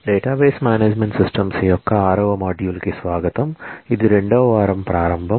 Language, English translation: Telugu, Welcome to module 6 of database management systems, this is the starting of week 2